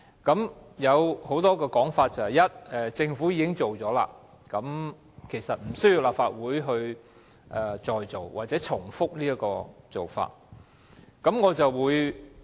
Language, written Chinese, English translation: Cantonese, 現時有很多說法，例如既然政府已經展開調查，所以立法會無須重複這項工作。, There are currently different arguments for example there is no need for the Legislative Council to duplicate the work as the Government has already kicked off an investigation